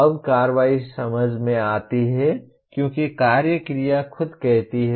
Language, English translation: Hindi, Now action is Understand as the action verb itself says